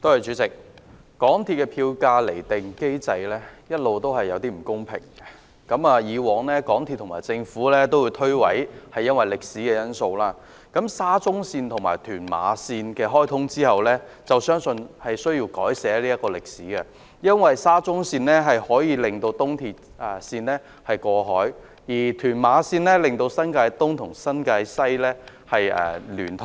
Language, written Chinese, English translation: Cantonese, 港鐵公司的票價釐定機制一直存在不公平之處，港鐵公司和政府過往會推諉說問題源於歷史因素，但在沙中綫及屯馬綫開通後，相信這歷史需要改寫，因為沙中綫令東鐵綫可以過海，而屯馬綫則令新界東及新界西聯通。, Unfairness has all along been observed in MTRCLs fare determination mechanism . In the past MTRCL and the Government would argue with the excuse that the problem originated from some historical factors . However I believe such an history has to be rewritten after the commissioning of SCL and TML as SCL makes it possible for us to cross the harbour by riding on EAL whereas TML links up New Territories East and New Territories West